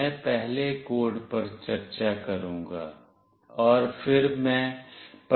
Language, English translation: Hindi, I will be discussing the code first, and then I will demonstrate